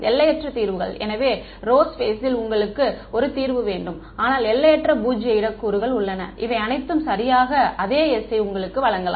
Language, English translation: Tamil, Infinite solutions right; so, you can have a solution in the row space, but there are infinite null space components, which can all give you exactly the same s